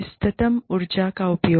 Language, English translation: Hindi, Optimal energy use